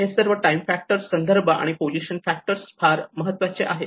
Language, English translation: Marathi, these all the time factor, the context factor and the position factor is very important